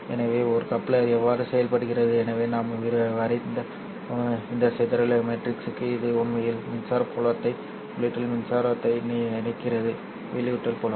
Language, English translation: Tamil, So for this scattering matrix that we have drawn, it actually connects the electric field at the input to the electric field at the output